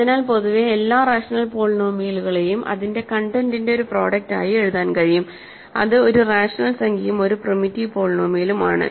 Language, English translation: Malayalam, So, in general every rational polynomial can be written as a product of its content which is a rational number and a primitive polynomial